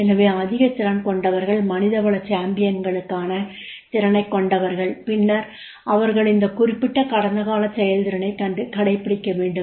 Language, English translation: Tamil, So those who are having the high potential, those who are having the potential for the HR champions, then they are required to go for this particular performance is required